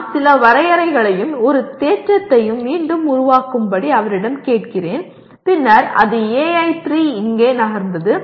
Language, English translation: Tamil, I ask some definitions and I ask him to reproduce a theorem then it becomes AI3 has moved here